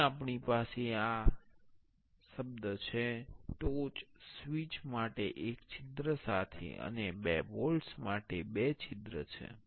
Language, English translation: Gujarati, Here we have this word a top for with one hole for the switch, and two hole for two bolts